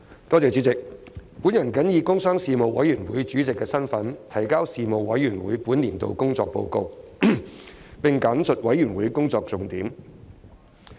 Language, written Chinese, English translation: Cantonese, 我謹以工商事務委員會主席的身份，提交事務委員會本年度工作報告，並簡述事務委員會工作重點。, In my capacity as Chairman of the Panel on Commerce and Industry the Panel I submit the report on the work of the Panel for this session and briefly highlight its major areas of work